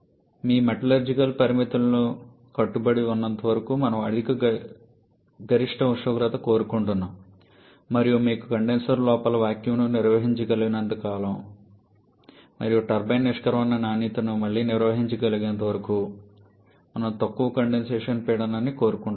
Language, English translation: Telugu, We want a higher maximum temperature as long as your metallurgical limits are adhered with and we want a lower condensation pressure as long as you can maintain the vacuum inside the condenser and again the turbine exit quality is manageable